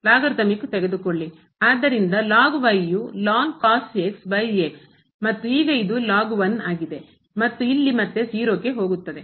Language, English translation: Kannada, So, will be over and now this is and here again goes to 0